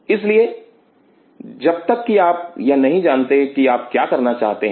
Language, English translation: Hindi, So, unless you know what you are asking for